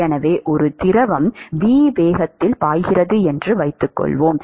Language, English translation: Tamil, So, let us assume that a fluid is flowing at a velocity v